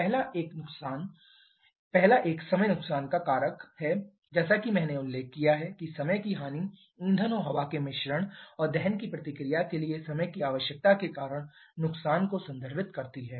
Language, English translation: Hindi, As I have mentioned time loss refers to the loss due to the finite time requirement for mixing of fuel and air and the combustion reaction